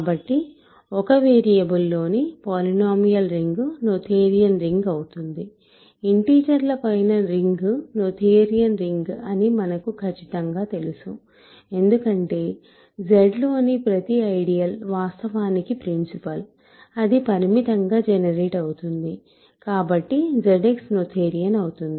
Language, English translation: Telugu, So, the polynomial ring in one variable or a noetherian ring is also noetherian, we certainly know that the ring of integers is noetherian because every ideal in Z is actually principal, finitely generated so, Z X is noetherian